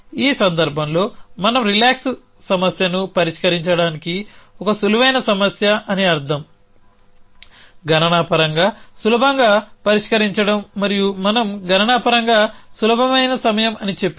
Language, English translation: Telugu, In this case, we same the relax problem in a such a way that it is a easy problem to solve which means computationally easy to solve and when we say computationally easy time